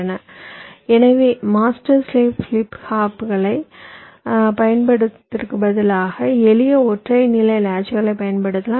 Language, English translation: Tamil, so instead of using the master slave flip flops, we can use simple single stage latches